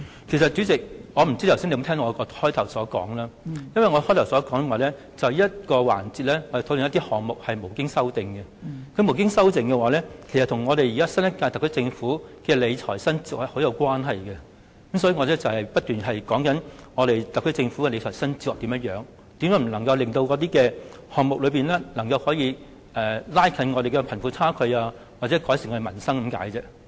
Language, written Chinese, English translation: Cantonese, 代理主席，不知你有否聽到我開始時的發言，我指出因這個環節是討論沒有修正案的總目，而沒有修正案的總目與新一屆政府的理財新哲學息息相關，所以我一直在說明特區政府的理財新哲學，如何未能令有關總目達到拉近貧富差距、改善民生的效果。, Deputy Chairman I wonder if you have listened to the opening remarks I made just now . I pointed out that this session is a discussion on the heads with no amendment which are closely related to the new fiscal philosophy of the current - term Government . Then I went on to explain how the new fiscal philosophy of the SAR Government has failed to ensure that expenditure under the relevant heads have fulfilled the function of narrowing the poverty gap and improving the peoples lot